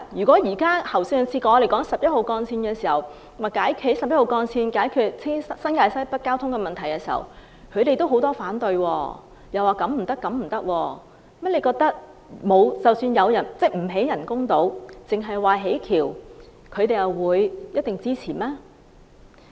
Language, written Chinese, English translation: Cantonese, 正如上次討論興建十一號幹線以解決新界西北交通擠塞問題時，他們也有很多反對聲音，指這方案不行那方案不行，難道政府不建人工島而只建大橋，他們就一定會支持嗎？, When we discussed the construction of Route 11 to relieve traffic congestion problem in North West New Territories many Members raised objection and criticized various proposals . If the Government only construct the bridge but not artificial islands will they definitely give support?